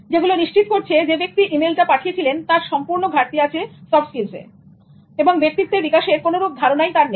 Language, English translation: Bengali, All were indicating that the person who sent it utterly lacked soft skills and no sense of personality development